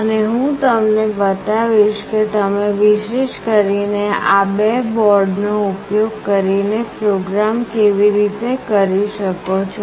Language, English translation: Gujarati, And I will also show you how you can program using these two boards specifically